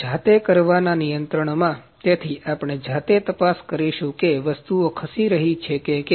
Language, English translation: Gujarati, In manual control, so we will we are going to check manually that whether the things are moving